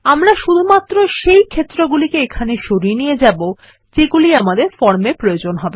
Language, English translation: Bengali, We will need to move only those fields which we need on the form